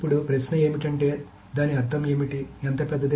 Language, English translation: Telugu, Now the question of course is what does it mean